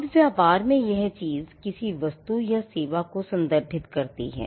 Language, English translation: Hindi, Now, the thing here in business refers to goods or a service